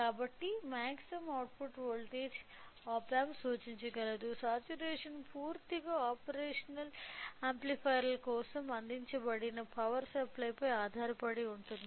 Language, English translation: Telugu, So, the maximum output voltage is the op amp can represent can show is only till the saturation that saturation entirely depends upon the power supplies been provided for operational amplifiers